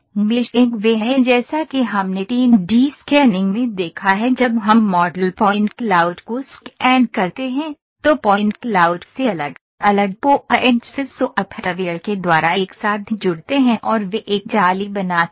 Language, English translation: Hindi, Meshing is as we have seen in the 3D scanning when we scan the model point cloud is obtained, from the point cloud different points are joined together by the software itself and they create a mesh